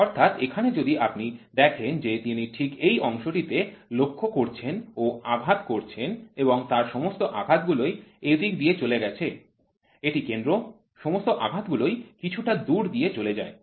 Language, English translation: Bengali, So, here if you see he is exactly focusing and hitting at this portion and all his shots go towards here, this is a center, all the shots go just little away